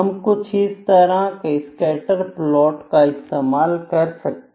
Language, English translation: Hindi, We can have scatter plot like this, ok